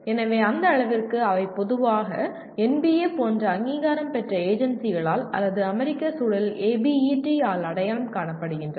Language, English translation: Tamil, So to that extent they are normally identified by accrediting agencies like NBA or in the US context by ABET